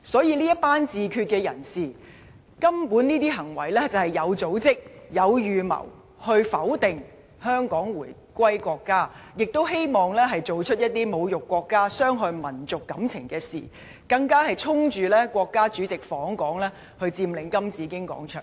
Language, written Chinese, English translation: Cantonese, 這群自決派人士的行為，無疑是有組織、有預謀去否定香港回歸國家的意義，亦希望做出一些侮辱國家、傷害民族感情的事，更是衝着國家主席訪港，佔領金紫荊廣場。, The actions taken by the self - determination activists were undeniably well organized and premeditated with the intention to deny the significance of Hong Kongs reunification with the country to humiliate the country and hurt national sentiments . By occupying the Golden Bauhinia Square they also aimed at demonstrating against the visit of the State President